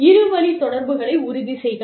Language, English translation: Tamil, Ensure a two way communication